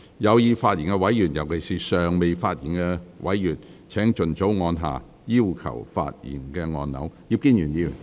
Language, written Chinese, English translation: Cantonese, 有意發言的委員，尤其是尚未發言的委員，請盡早按下"要求發言"按鈕。, Members who wish to speak especially those who have not yet spoken please press the Request to speak button as early as possible